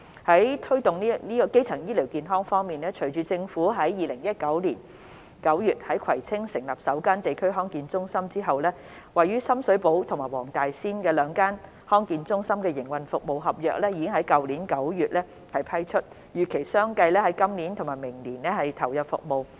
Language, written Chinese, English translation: Cantonese, 在推動基層醫療健康方面，隨着政府於2019年9月在葵青區成立首間地區康健中心，位於深水埗和黃大仙的兩間地區康健中心的營運服務合約已於去年9月批出，並預期相繼於今年和明年投入服務。, Regarding the promotion of primary healthcare following the service commencement of the first District Health Centre DHC in the Kwai Tsing District in September 2019 the service contracts of Sham Shui Po and Wong Tai Sin DHCs were awarded in September last year with a view to commencing services this year and next year respectively